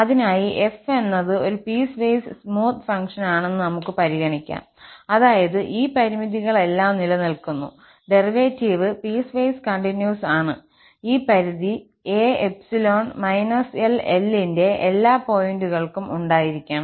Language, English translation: Malayalam, And for that, we can just consider that f is a piecewise smooth function, that means all these limits exist, the derivative is piecewise continuous and this limit must exist for all points a in this interval minus L to L